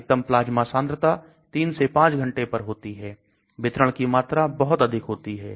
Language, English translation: Hindi, Peak plasma concentration at 3 to 5 hours, volume of distribution is very large